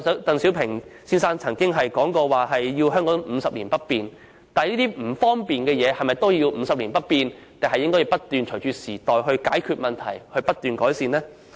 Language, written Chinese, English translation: Cantonese, 鄧小平先生曾表示香港50年不變，但一些為我們帶來不便的安排，是否也要50年不變，還是應該隨着時代轉變作出解決和不斷改善呢？, Mr DENG Xiaoping once said that Hong Kong would remain unchanged for 50 years but when it comes to arrangements that will cause us inconvenience shall they also remain unchanged for 50 years or shall the problem be resolved and the situation be improved with time?